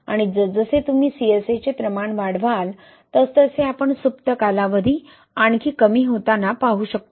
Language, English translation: Marathi, And as you increase the amount of CSA, we can see the further reducing the dormant period